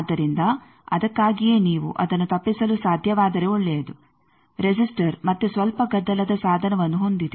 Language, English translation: Kannada, So, that is why if you can avoid, it is good also resistor again has a bit of noisy device